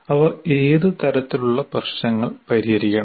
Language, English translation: Malayalam, So what kind of problem should he solve